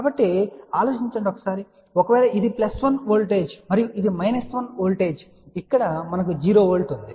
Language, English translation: Telugu, So, just think about if this is a plus 1 voltage and this is a 1 1 voltage here we have a 0 volt